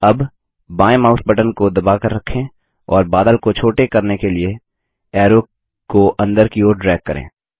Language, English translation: Hindi, Now, hold the left mouse button and drag the arrow inward to make the cloud smaller